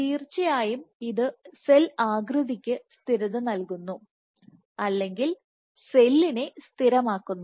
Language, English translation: Malayalam, Of course, it provides stability to cell shape, it stabilizes the cell